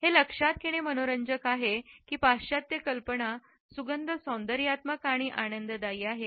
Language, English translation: Marathi, It is interesting to note that the Western notions of which fragrances are aesthetically pleasant is not universal